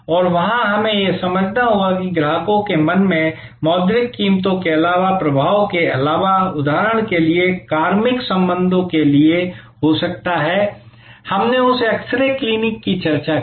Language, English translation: Hindi, And there, we have to understand that, in customers mind besides the monitory prices, besides the influence that can be there for personnel relationships from the example, we discussed of that x ray clinic